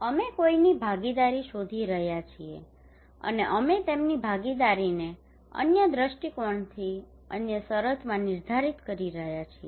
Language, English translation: Gujarati, We are looking for someone’s participations and we are defining their participations in other perspective other terms